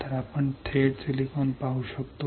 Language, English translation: Marathi, So, we can directly see silicon